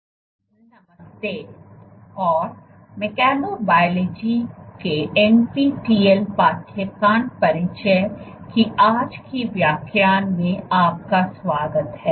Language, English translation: Hindi, Hello and welcome to today’s lecture of NPTEL course introduction to mechanobiology